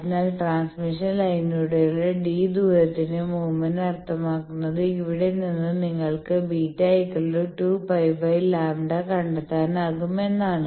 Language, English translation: Malayalam, So, a movement of distance d along transmission line means from here you can find out this b is equal to 2 pi by lambda